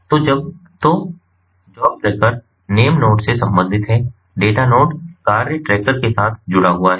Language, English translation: Hindi, so job tracker in the name node is related to the is linked with the task tracker in the data node